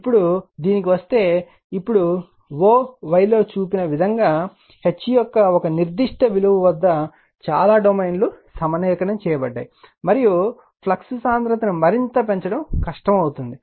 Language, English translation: Telugu, Now, if you come to this, now at a particular value of H as shown in o y, most of the domains will be you are aligned, and it becomes difficult to increase the flux density any further